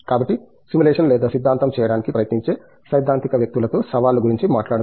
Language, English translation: Telugu, So, let’s talk about the challenges with the theoretical people who try to do simulations or theory